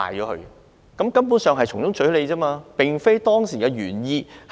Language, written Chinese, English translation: Cantonese, 他們根本是從中取利，有違政策原意。, They are actually making profits from it which is contrary to the original policy intent